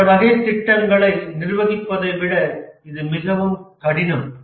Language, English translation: Tamil, It is much harder than managing other types of projects